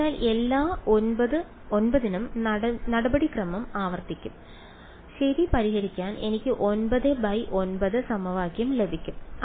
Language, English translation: Malayalam, So, the procedure would be repeat for all 9, I get a 9 by 9 equation to solve for ok